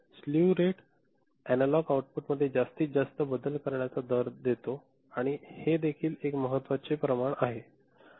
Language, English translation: Marathi, Slew rate gives maximum rate of change of analog output and this is also an important quantity ok